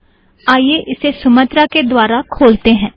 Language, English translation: Hindi, So let me just open this with Sumatra